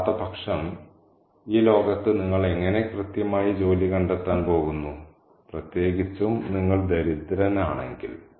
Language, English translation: Malayalam, Otherwise, how exactly are you going to find work in this world, especially if you are poor